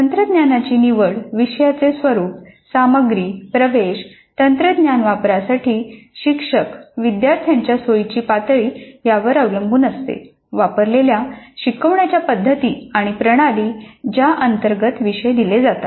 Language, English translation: Marathi, The choice of technologies depends on the nature of the courses, the content, the access, comfort levels of faculty and students with the technology, instructional methods used, and system under which the courses are offered